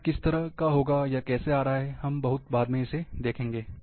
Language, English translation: Hindi, How it will, how it is coming, we will see little later